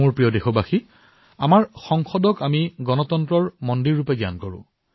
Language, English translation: Assamese, My dear countrymen, we consider our Parliament as the temple of our democracy